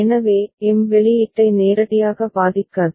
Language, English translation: Tamil, So, M is not directly affecting the output ok